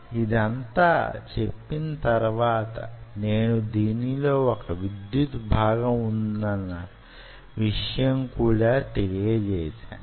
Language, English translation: Telugu, having said this, i told you that there is an electrical component involved in it